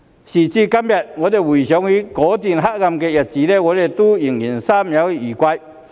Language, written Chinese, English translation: Cantonese, 時至今天，當我們回想起那段黑暗日子，心中仍猶有餘悸。, Even today we are still haunted by fear when we look back on those days of darkness